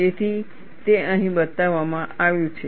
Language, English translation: Gujarati, So, that is what is shown here